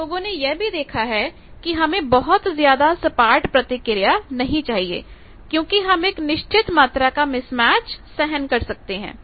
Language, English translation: Hindi, Now, people have also saw that I do not want any flat because I can sustain or tolerate certain amount of mismatch